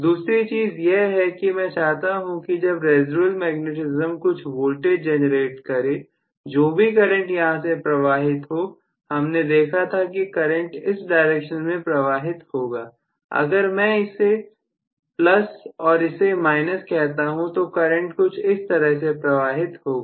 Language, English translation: Hindi, The second one that I want would be, once the residual magnetism kind of generate some voltage whatever is the current that is flowing, so we said that the current is flowing in this direction if I say this is plus and this is minus, this is how the current is going to flow